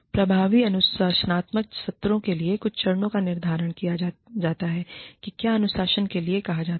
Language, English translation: Hindi, Some steps for effective disciplinary sessions are, determine, whether the discipline is called for